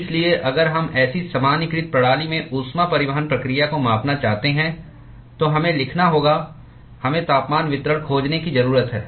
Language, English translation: Hindi, So, if we want to quantify heat transport process in such a generalized system, we need to write a we need to find the temperature distribution